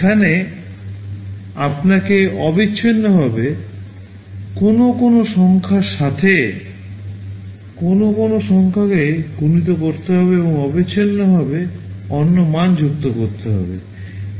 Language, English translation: Bengali, There you need to continuously multiply a number with some other number and add to another value continuously